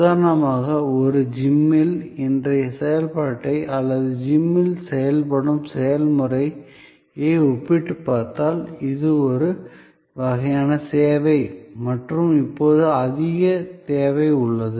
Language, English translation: Tamil, For example, if you compare today's function in a gym or operational procedure in a gym which is a kind of a service and now more and more in demand